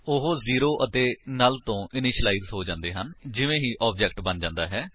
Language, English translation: Punjabi, They have been initialized to 0 and null already once the object is created